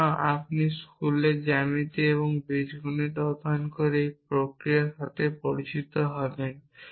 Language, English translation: Bengali, So, you are familiar with this process having studied geometry and algebra in school